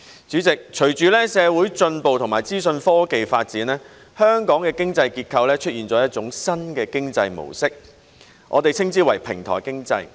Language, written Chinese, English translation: Cantonese, 主席，隨着社會進步和資訊科技發展，香港的經濟結構出現了一種新的經濟模式，我們稱之為平台經濟。, President with social progress and information technology advancement Hong Kongs economic structure has seen the rise of a new economic mode the platform economy as we call it